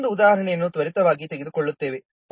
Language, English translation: Kannada, We'll take one more example quickly